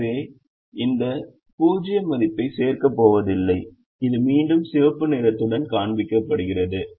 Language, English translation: Tamil, so this zero is not going to add value and that is again shown with the red one coming